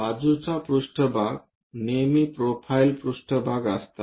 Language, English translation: Marathi, Side planes are always be profile planes